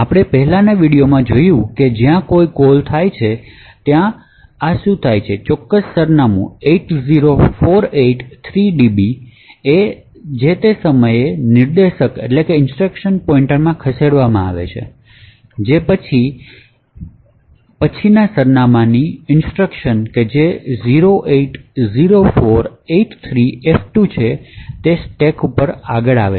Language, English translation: Gujarati, So as we have seen in the previous video when there is a call instruction what is done is that this particular address 80483db is moved into the instruction pointer at the same time the instruction of the next address that is 080483f2 gets pushed on to the stack